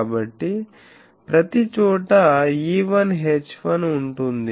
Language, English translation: Telugu, So, everywhere there will be E1 H1s